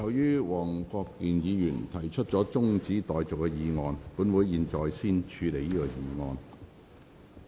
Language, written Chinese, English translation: Cantonese, 由於黃國健議員提出了中止待續的議案，本會現在先處理這項議案。, Since Mr WONG Kwok - kin proposed an adjournment motion this Council will now deal with the adjournment motion first